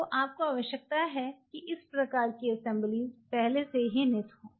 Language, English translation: Hindi, So, you needed to have those kinds of assemblies already in built into it